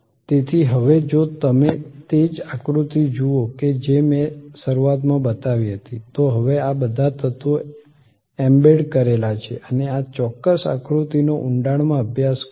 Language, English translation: Gujarati, Therefore, now if you look at that same diagram that I showed in the beginning, now with all these elements embedded and study this particular diagram in depth